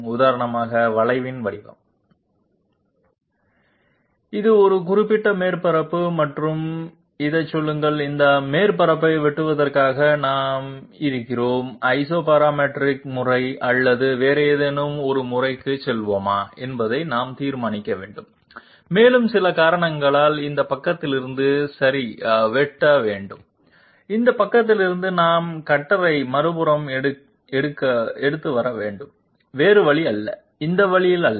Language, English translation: Tamil, The very shape of the curve for example Say this is a particular surface and this in order to cut this surface we are we have to decide whether we will go for Isoparametric method or some other method and see due to some reason we have to cut from this side okay from this side we have to come take the cutter to the other side, not the other way not this way